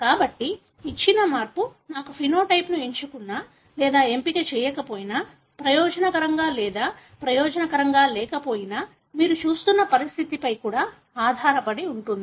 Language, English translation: Telugu, So, whether a given change gives me a phenotype is selected or not selected, beneficial or not beneficial, also depends on the condition that you are looking at